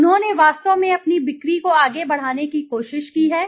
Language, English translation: Hindi, They have actually tried to push their sales forward